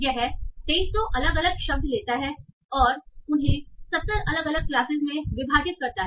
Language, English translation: Hindi, So it takes 2,300 different words and divides them into 70 different classes